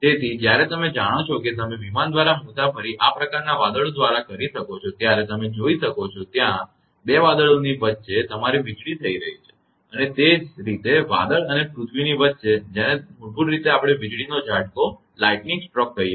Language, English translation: Gujarati, So, when you even if you travel by airplane through this kind of the you know cloud you can see that there will be your lightning happening between the 2 clouds and similarly it is between the cloud and the earth which basically we call lightning stroke